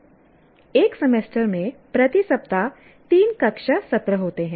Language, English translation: Hindi, There are three classroom sessions per week over a semester